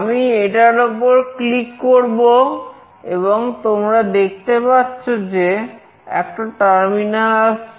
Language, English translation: Bengali, I will just click on that and you can see a terminal is coming